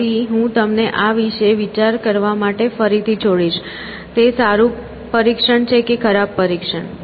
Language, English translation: Gujarati, So, I will again leave it you to think about this; is it a good test or bad test